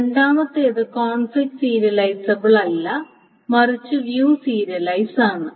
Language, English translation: Malayalam, So, if something is conflict serializable, it must be view serializable